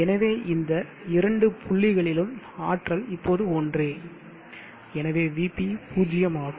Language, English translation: Tamil, So this potential and this potential are same now and therefore V B is zero